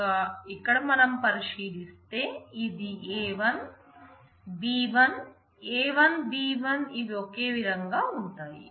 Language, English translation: Telugu, So, if we look at here this is a 1, b 1, a 1, b 1, here these are identical